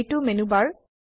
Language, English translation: Assamese, This is the Menubar